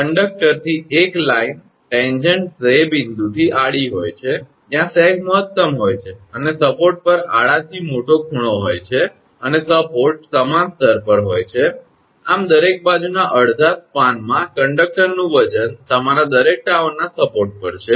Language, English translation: Gujarati, A line tangent to the conductor is horizontal at the point where sag is maximum and has greatest angle from the horizontal at the support and the supports are at the same level thus the weight of the conductor in one half span on each side is your supported at each tower because tower height is same